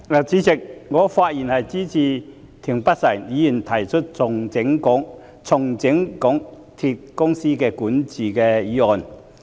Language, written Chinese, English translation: Cantonese, 主席，我發言支持田北辰議員提出"重整港鐵公司管治"的議案。, President I speak in support of Mr Michael TIENs motion on Restructuring the governance of MTR Corporation Limited